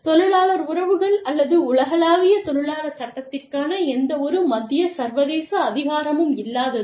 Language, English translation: Tamil, Lack of any central international authority, for labor relations, or global labor law